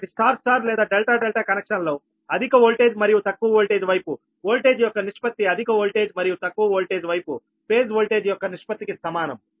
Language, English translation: Telugu, so in star star or delta delta connection, the ratio of the voltage on high voltage and low voltage side at the same as the ratio of the phase voltage on the high voltage and low voltage side